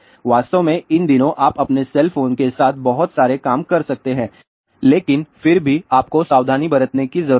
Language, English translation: Hindi, In fact, these days you can do so many things with your cell phone, but yet you need to take precaution